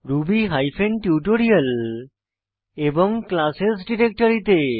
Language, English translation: Bengali, To ruby hyphen tutorial and classes directory